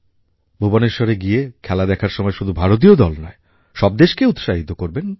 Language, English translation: Bengali, Go to Bhubaneshwar and cheer up the Indian team and also encourage each team there